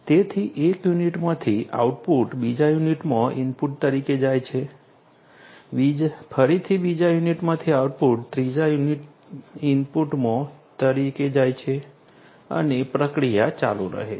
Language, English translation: Gujarati, So, output from one unit goes as input to another unit, again the output from the second unit goes as input to the third and the process continues